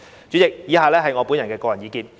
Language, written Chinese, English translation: Cantonese, 主席，以下是我的個人意見。, President the following are my personal views